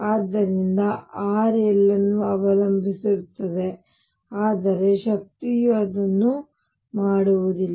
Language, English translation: Kannada, So, r depends on l, but the energy does not